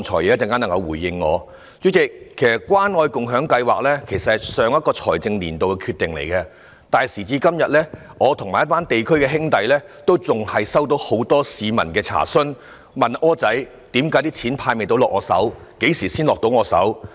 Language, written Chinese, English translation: Cantonese, 主席，關愛共享計劃其實是上一個財政年度的決定，但時至今天，我和一群在地區工作的兄弟仍然收到很多市民查詢，他們問我："'柯仔'，為何錢仍未派到我手上，何時才會到我手呢？, President the Caring and Sharing Scheme is a decision made in the last financial year but today I and my colleagues working in the district still receive many enquiries from the public . They asked me OR how come the money still has not been handed to me? . When will I get it?